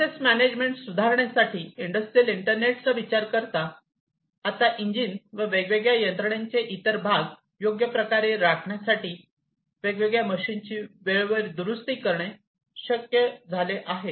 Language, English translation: Marathi, In terms of asset management, now it is possible to timely repair the different machines to properly maintain the engines and other parts of the different machinery